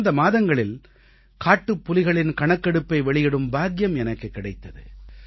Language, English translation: Tamil, Last month I had the privilege of releasing the tiger census in the country